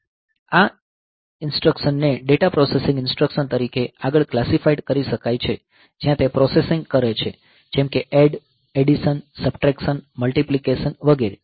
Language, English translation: Gujarati, Now, these instructions can further be classified as data processing instruction where it is doing the processing like say add, addition, subtraction, multiplication etcetera